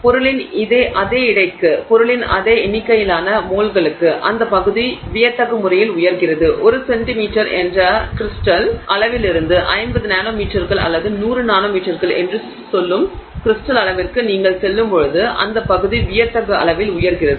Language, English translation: Tamil, So, the area goes up dramatically for the same weight of the material, the same number of moles of the material, the area goes up dramatically when you go from a crystal size of say 1 centimeter to a crystal size of say 50 nanometers or 100 nanometers, right